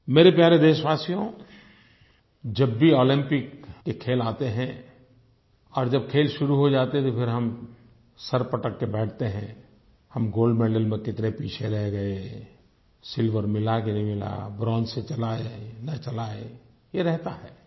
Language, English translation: Hindi, My dear countrymen, whenever the Olympic games come around, and when these begin, we sit and clutch our heads and sigh, "we were left so far behind in the tally of gold medals… did we get a silver or not… should we do with just a bronze or not…" This happens